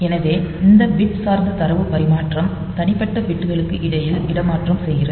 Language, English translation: Tamil, So, it transfers between individual bits